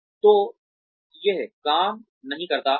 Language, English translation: Hindi, So, that does not work